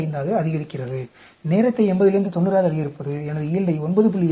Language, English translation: Tamil, 35, increasing the time from 80 to 90 increases my yield by 9